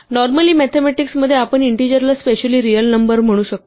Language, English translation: Marathi, Normally in mathematics we can think of integers as being a special class of say real numbers